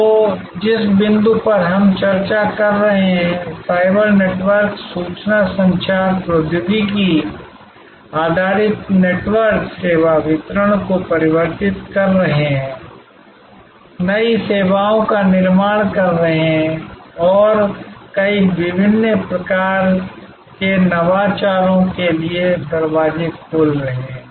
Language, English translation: Hindi, So, the point that we are discussing that cyber networks, information communication technology based networks are transforming service delivery, creating new services and opening the doors to many different types of innovations